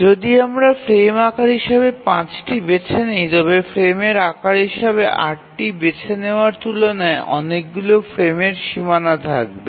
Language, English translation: Bengali, So, if we choose 5 as the frame size, then there will be many frame boundaries compared to when we choose 8 as the frame size